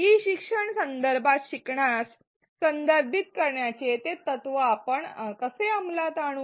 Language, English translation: Marathi, How do we implement this principle of contextualizing the learning in an e learning context